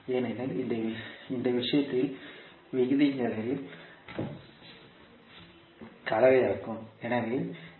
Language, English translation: Tamil, Because in this case we have a combination of ratios